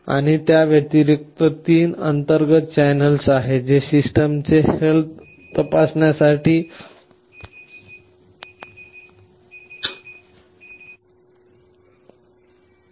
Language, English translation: Marathi, And in addition there are 3 internal channels that are meant for checking the health of the system